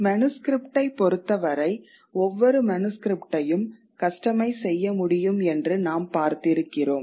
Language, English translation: Tamil, Whereas in the case of manuscript as we had seen, that each manuscript can be custom made